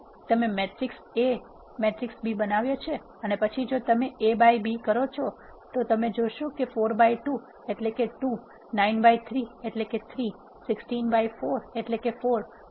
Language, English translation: Gujarati, So, you have created matrix A matrix B and then if you do A by B you will see that 4 by 2 is 2 9 by 3 is 3, 16 by 4 is 4